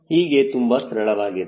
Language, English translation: Kannada, so this becomes very simple